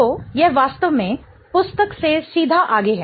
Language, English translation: Hindi, So, this is really straightforward from the book